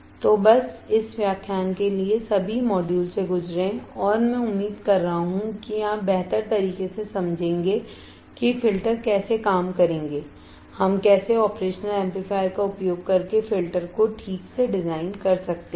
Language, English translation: Hindi, So, just go through all the modules for this lecture and I am hoping that you will understand better about how the filters would work and how we can design a filter using operational amplifier alright